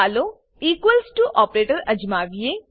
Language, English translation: Gujarati, Lets us try equals to operator